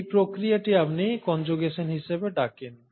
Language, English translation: Bengali, So this process is what you call as conjugation